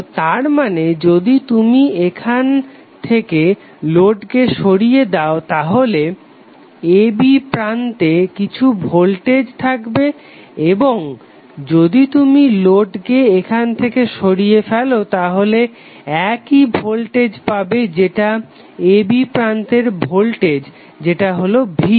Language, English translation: Bengali, So that means that if you remove load from here there would be some voltage across Terminal a b and if you remove load from here there will be same voltage which would be coming across a b that is V